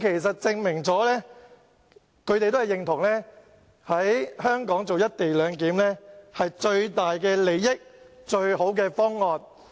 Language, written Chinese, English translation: Cantonese, 這證明他們也認同，在香港實施"一地兩檢"將可提供最大利益，亦是最佳方案。, This proves that they also agree that the implementation of the co - location arrangement in Hong Kong will provide the greatest benefits and is the best proposal